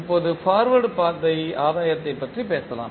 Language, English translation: Tamil, Now, let us talk about Forward Path Gain